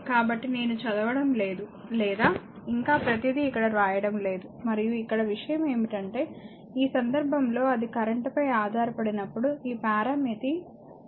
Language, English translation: Telugu, So, I am not reading or not telling further everything is written here right and only thing is that here in this case whenever it is your dependent on the current so, this parameter this 3 you will call the gain parameter right